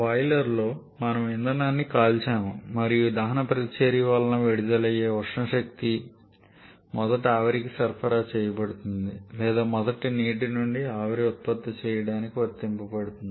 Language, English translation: Telugu, In the boiler we burned the fuel and the energy or thermal energy released because of this combustion reaction is first supplied to a steam or first applied to produce steam from water